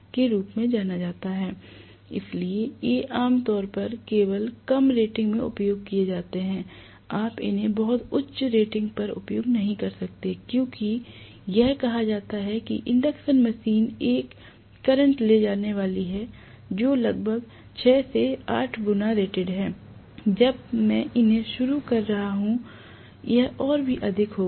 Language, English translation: Hindi, So these are generally used only at lower ratings, you cannot use them at very high ratings as it is we said induction machine is going to carry a current, which is corresponding to almost 6 to 8 times the rated current when I am starting them, this will be even more